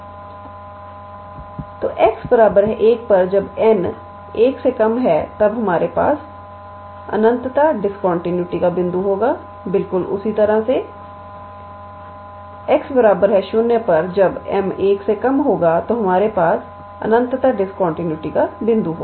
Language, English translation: Hindi, So, at x equals to 1 when n is less than 1 we will have a point of infinite discontinuity similarly at x equals to 0 when m is less than 1 then we have a point of infinite discontinuity